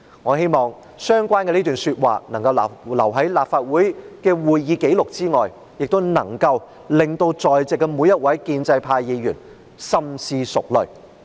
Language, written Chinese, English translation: Cantonese, "我希望這段說話能夠留在立法會的會議紀錄內，亦能夠讓在席的每位建制派議員深思熟慮。, I hope that these comments can be put on record in the records of meetings of the Legislative Council and that they be given in - depth consideration by each and every pro - establishment Member in the Chamber